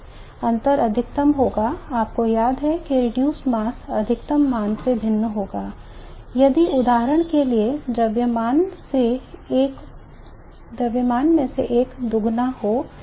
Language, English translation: Hindi, The difference will be maximum you recall the reduced mass will differ by a maximum value if for example one of the masses doubled